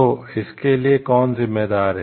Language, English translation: Hindi, So, who is responsible for that